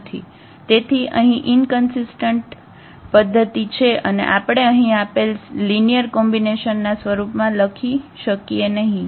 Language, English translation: Gujarati, So, here the system is inconsistent and we cannot write down this as linear combination given there